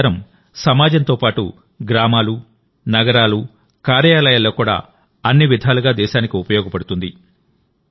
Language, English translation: Telugu, In the society as well as in the villages, cities and even in the offices; even for the country, this campaign is proving useful in every way